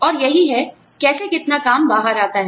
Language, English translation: Hindi, And, this is, how much work, that comes out